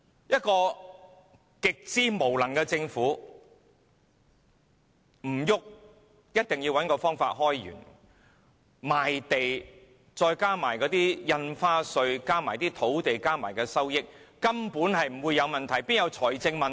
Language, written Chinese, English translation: Cantonese, 一個極之無能的政府，只管找方法開源，賣地加上印花稅和土地的收益，財政根本不會有問題，怎會有財政問題？, This very incompetent Government will only look for revenue . You know with all the proceeds from stamp duties and lands it will not have any financial problem . How can it have any financial problem anyway?